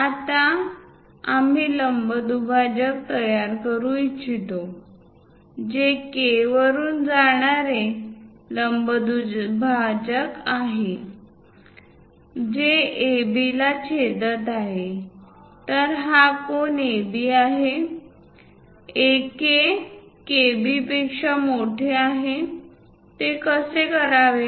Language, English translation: Marathi, Now, what we would like to do is; construct a perpendicular bisector, perpendicular line passing through K, which is going to intersect AB; so that this angle is AB; AK is greater than KB; how to do that